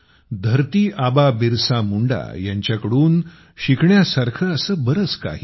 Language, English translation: Marathi, There is so much that we can learn from Dharti Aba Birsa Munda